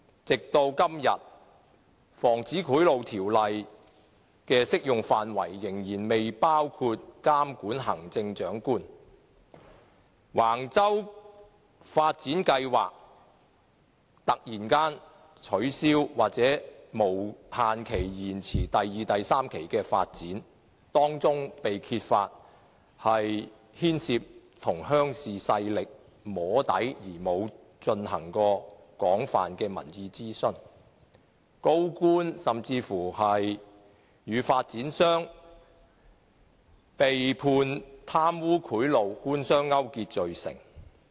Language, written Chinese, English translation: Cantonese, 直至今天，《防止賄賂條例》的適用範圍仍然未包括規管行政長官；橫洲發展計劃突然取消，第二期及第三期發展無限期延遲，當中被揭發牽涉向鄉事勢力"摸底"而未有進行廣泛民意諮詢；高官甚至與發展商被判貪污賄賂，官商勾結罪成。, To date the Prevention of Bribery Ordinance is still not applicable to the Chief Executive . As for the Wang Chau development plan it has been cancelled suddenly and the second and third phases of the development have been deferred infinitely . It was uncovered that the incident involved soft lobbying with rural leaders in the absence of extensive public consultation